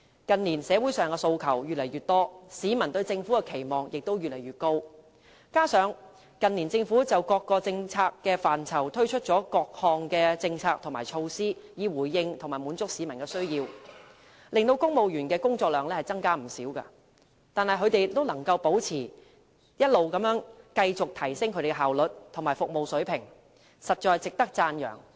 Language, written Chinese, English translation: Cantonese, "近年，社會上的訴求越來越多，市民對政府的期望也越來越高，加上近年政府就各個政策範疇推出多項政策和措施，以回應和滿足市民的需要，令公務員的工作量增加不少，但他們仍可保持甚至是一直提升他們的效率和服務水平，實在值得讚揚。, In recent years aspirations of the community are increasing and the public pin higher expectations on the Government . Besides the Government has introduced a number of policies and measures in various policy areas in recent years to respond to and cater for the needs of the public . All these have increased the workload of civil servants yet they have managed to maintain and even enhance their efficiency and quality of services and this merits commendation